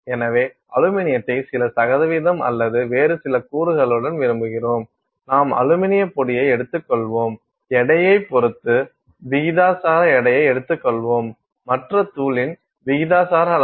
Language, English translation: Tamil, So, you want aluminum with some percentage or some other component, you take aluminium powder, you take a proportional weight with respect to weight, you take a proportional amount of the other powder and then you mix them